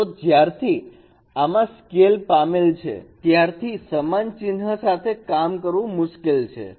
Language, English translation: Gujarati, So since the scale is involved it is difficult to work with this equality sign